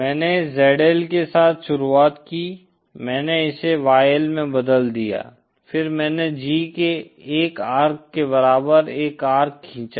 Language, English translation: Hindi, I started with ZL, I converted it to YL then I drew one arc corresponding to the G equal to 1 circle